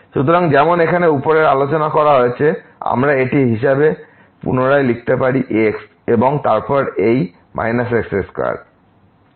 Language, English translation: Bengali, So, as discussed above here we can rewrite this as sin square and then this minus square divided by square square